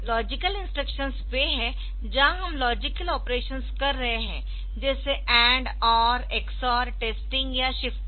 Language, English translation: Hindi, So, logical instructions were we are doing the logic logical operation like AND, OR, XOR testing or shifting and all that